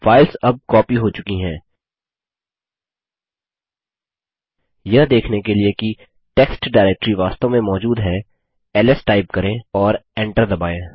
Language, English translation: Hindi, The files have now been copied, to see that the test directory actually exist type ls and press enter